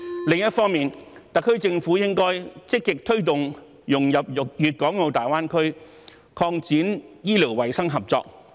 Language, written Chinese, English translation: Cantonese, 另一方面，特區政府應該積極推動香港融入粵港澳大灣區，並擴展醫療衞生合作。, On the other hand the HKSAR Government should actively promote Hong Kongs integration into the Guangdong - Hong Kong - Macao Greater Bay Area and expand medical and health cooperation